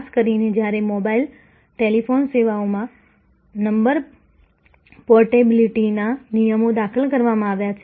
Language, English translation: Gujarati, Particularly, when in mobile, telephone services, the number portability rules have been introduced